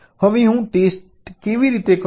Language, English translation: Gujarati, how do i do test